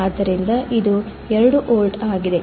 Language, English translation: Kannada, So, it is 2 volts